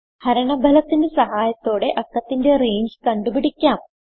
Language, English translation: Malayalam, With the help of the quotient we can identify the range of the number